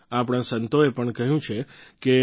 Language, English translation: Gujarati, Our saints too have remarked